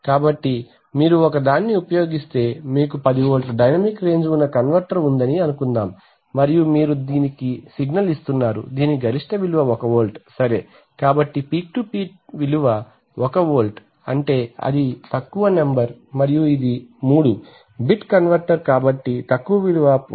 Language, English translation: Telugu, So if you use a, let us say, we can write here also that suppose you have a converter which is the dynamic range of 10 volts and you are giving it a signal whose peak to peak value is 1 volt right, so then peak to peak value is 1 volt means the lowest number and it is a 3 bit converter so then the lowest value is 1